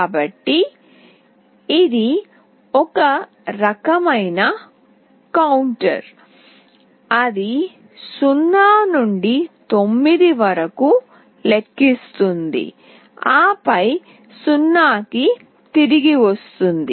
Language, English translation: Telugu, So, it will be a kind of counter that will count from 0 to 9, and then back to 0